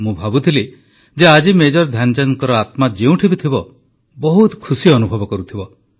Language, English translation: Odia, You can imagine…wherever Major Dhyanchand ji might be…his heart, his soul must be overflowing with joy